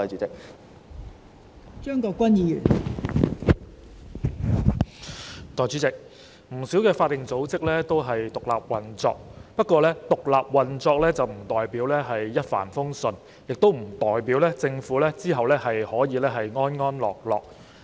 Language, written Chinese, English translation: Cantonese, 代理主席，不少法定組織均獨立運作，不過，獨立運作不代表一帆風順，亦不代表政府可以無後顧之憂。, Deputy President many statutory bodies operate independently . However independent operation does not mean plain sailing . Neither does it mean that the Government will have nothing to worry about